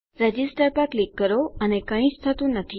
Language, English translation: Gujarati, Click on Register and nothings happened